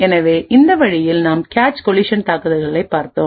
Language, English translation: Tamil, So, in this way we had looked at cache collision attacks